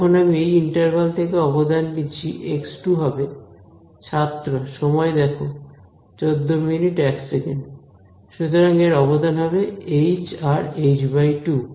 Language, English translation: Bengali, When I take the contribution from this interval x 2 will come again